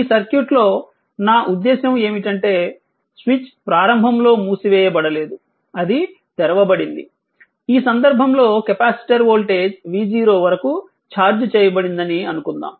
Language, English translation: Telugu, What I want to mean for this circuit for this circuit right for this circuit , that when switch was not close, it was open initially, suppose capacitor was this capacitor was charged at voltage v 0 right